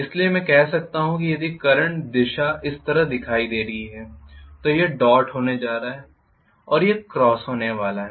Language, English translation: Hindi, So I can say if the current direction is showing like this here this is going to be dot and this is going to be cross